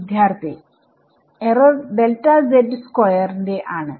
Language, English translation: Malayalam, So, the error is order of delta z square